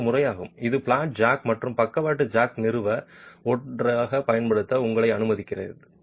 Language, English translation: Tamil, And this is a method which allows you to be able to use flat jack plus the lateral jack together to establish that